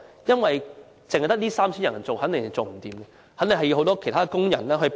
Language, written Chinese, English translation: Cantonese, 因為只有 3,000 人從事有關工作，肯定人手不足，需要很多其他工人幫忙。, With only 3 000 people in the trade which is obviously insufficient other workers are needed to fill the gap